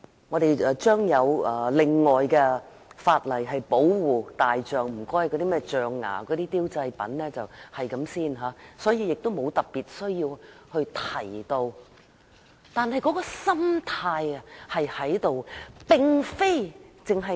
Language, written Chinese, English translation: Cantonese, 我們將有另外的法例保護大象，禁止銷售象牙製品，所以沒有特別需要在我的修正案中提到。, As we will separately enact a legislation to protect elephants by banning the sale of ivory products there is no need for me to specifically mention elephants in my amendment